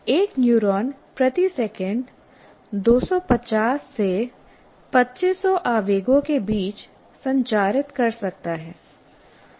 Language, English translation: Hindi, A neuron can transmit between 250 to 2,500 impulses per second